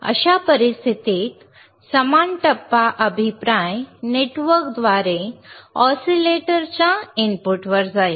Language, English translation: Marathi, In that case the same phase will go to the input of the oscillator through feedback network